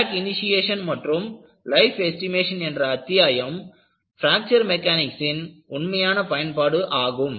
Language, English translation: Tamil, The chapter on Crack Initiation and Life Estimation is the real utility of Fracture Mechanics